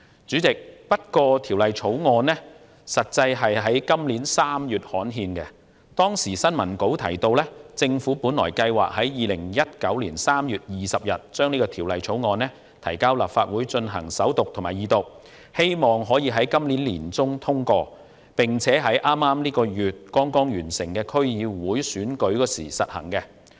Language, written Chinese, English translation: Cantonese, 主席，《條例草案》在今年3月刊憲，當時的新聞稿提到，政府計劃在2019年3月20日將《條例草案》提交立法會進行首讀和二讀，希望可於今年年中通過，並在本月剛剛完成的區議會選舉時實行。, President the Bill was gazetted in March this year . It was mentioned in the press release at that time that the Government planned to introduce the Bill into the Legislative Council for First and Second Readings on 20 March 2019 . The Government hoped that the Bill could be passed in mid - 2019 so that the relevant new measures could be implemented in time for the District Council Election which was just concluded this month